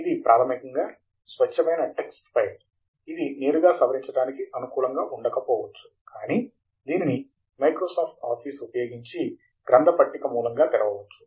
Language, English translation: Telugu, It is basically pure text file, this may be not amenable for editing directly, but it can be opened in Microsoft Office as a bibliographic source